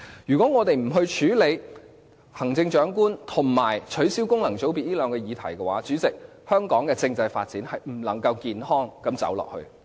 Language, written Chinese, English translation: Cantonese, 如果我們不處理行政長官和取消功能界別這兩個議題的話，主席，香港的政制發展是不能健康走下去。, President if we are unwilling to face up to the issues of the Chief Executive election and the abolition of functional constituencies we will not be able to see a healthy constitutional development in Hong Kong